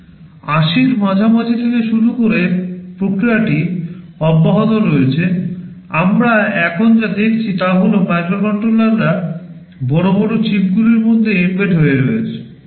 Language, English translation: Bengali, Starting from mid 80’s and the process is continuing, what we see now is that microcontrollers are getting embedded inside larger chips